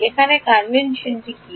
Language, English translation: Bengali, Now what is the convention